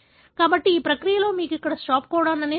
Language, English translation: Telugu, So, in this process, you have a stop codon here